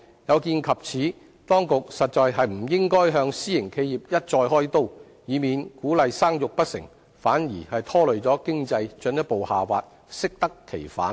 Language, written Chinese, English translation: Cantonese, 有見及此，當局實在不應該向私營企業一再"開刀"，以免鼓勵生育不成，反而拖累經濟進一步下滑，適得其反。, In view of this the authorities should really refrain from victimizing private enterprises time and again so as to avoid any backfiring that may drag the economy further down while the attempt to boost the fertility rate also ends in failure